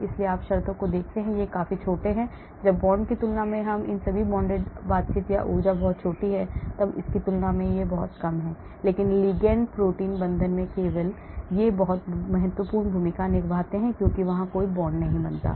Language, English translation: Hindi, so you see from the terms, they are all quite small when compared to the bonded, all these non bonded interaction or energies are very, very small when compared to this, but in ligand protein binding only these play a very important role because there is no bond formed